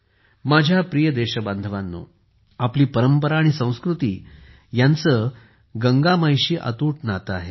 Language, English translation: Marathi, My dear countrymen, our tradition and culture have an unbreakable connection with Ma Ganga